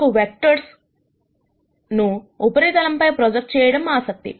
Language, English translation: Telugu, We are always interested in projecting vectors onto surfaces